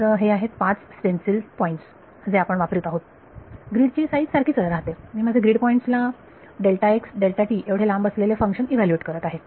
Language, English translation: Marathi, So, this, this these are the five sort of stencils points that are being used, the grid size remains the same I am evaluating my function at grid points spaced apart by delta x delta t